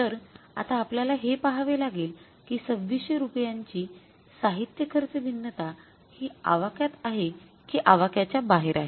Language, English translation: Marathi, So we will have to look for that this 2,600 rupees of the material cost variance whether it is in the permissible range or beyond the permissible range